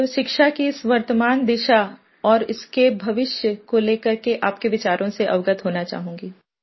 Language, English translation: Hindi, So I would like to know your views concerning the current direction of education and its future course